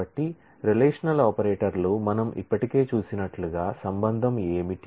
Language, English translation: Telugu, So, relational operators, so what is a relation as we have seen already